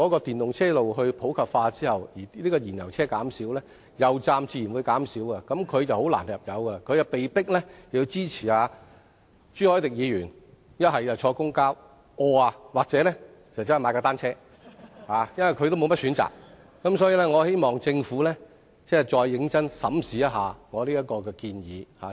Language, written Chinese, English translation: Cantonese, 電動車普及化後，燃油車會減少，油站也自然會減少，燃油車車主要入油便會很困難，被迫支持朱凱廸議員的建議，乘搭公共交通工具或踏單車，因為他們沒有選擇，所以我希望政府再認真審視我這項建議。, It will then be more difficult for fuel - engined vehicle owners to refuel their vehicles . They will then be forced to support Mr CHU Hoi - dicks proposal and take public transport or ride bicycles because they have no other options . Hence I hope the Government will seriously reconsider my proposal